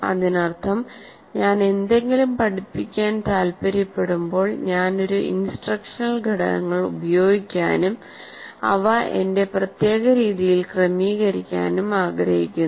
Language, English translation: Malayalam, That means when I want to teach something, I may want to use a series of instructional components and sequence them in my own particular way